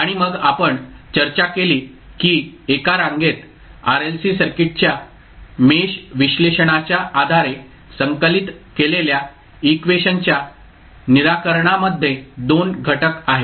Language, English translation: Marathi, , And then we discuss that the solution of the equation which we collected based on the mesh analysis of Series RLC Circuit has 2 components